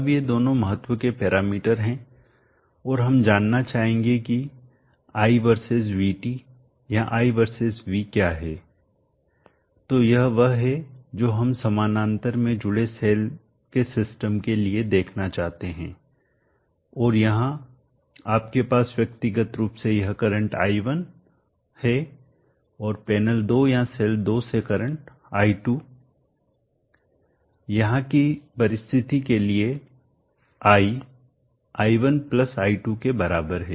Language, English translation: Hindi, Now these two are the parameters of importance and we would like to know what is i versus VT or i versus V, so this is what we would like to see for the system of cells connected in parallel and here you have individually this current as i1 and current from panel to cell 2 as i2 the conditions here i is equal to i1 + i2 if I say that the voltage across panel 1 is VT1 and voltage across panel 2 as VT2 then VT1 = VT2 = VT these are the constraints two constraints that are applicable for cells connected in parallel